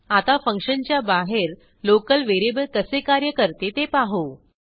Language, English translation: Marathi, Now, let us see how the local variable behaves outside the function